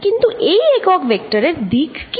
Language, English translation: Bengali, And what is this vector